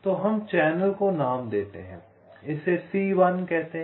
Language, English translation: Hindi, lets call this channel as c one